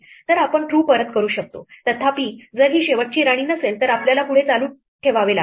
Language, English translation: Marathi, So, we can return true; however, if this is not the last queen then we have to continue